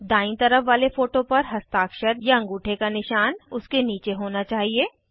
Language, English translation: Hindi, For the right side photo, the signature/thumb impression should be below it